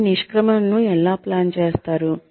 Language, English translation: Telugu, How do you plan your exit